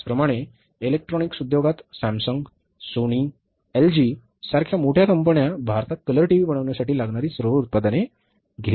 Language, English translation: Marathi, Similarly in the electronics industry, in the electronics industry these bigger companies like Samsung, Sony, LG, they don't produce all the products required for manufacturing a color TV in India